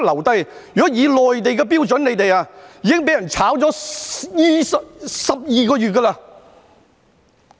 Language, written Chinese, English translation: Cantonese, 如果以內地的標準，你們已經被解僱12個月了。, By the Mainland standard you should have been fired 12 months ago